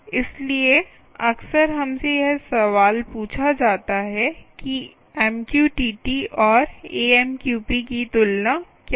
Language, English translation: Hindi, so often we are asked this question: what is the comparison, comparison of mqtt and amqp right